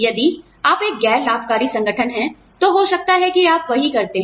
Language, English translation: Hindi, If you are a non profit organization, maybe, that is what, you do